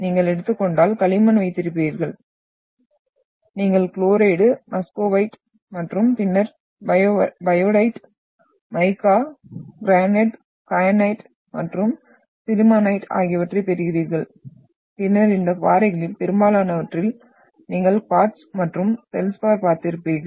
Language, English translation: Tamil, So you have, the composition if you take, you will have clay and you are getting into chlorite, Muscovite and then biotite, mica, garnet, kyanite and sillimanite and then in most of these rocks, you will have quartz and feldspar which has been seen